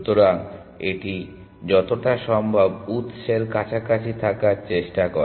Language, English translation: Bengali, So, it tries to stick as close to the source as possible